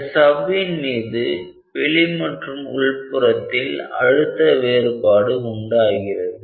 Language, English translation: Tamil, So, the membrane has a difference in pressure from the outer and the inner